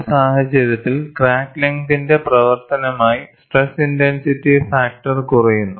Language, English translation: Malayalam, So, as the crack length increases, the stress intensity factor decreases